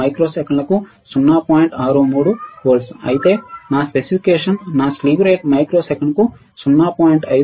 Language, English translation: Telugu, 63 volts per microsecond, but my specification says that my slew rate should be 0